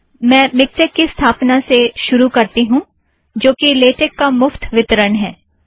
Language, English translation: Hindi, I will begin with the installation of Miktex, a free distribution of latex